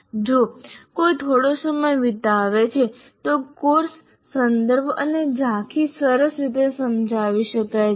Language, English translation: Gujarati, If one spends a little time, it can be nice, the course context and over you can be nicely explained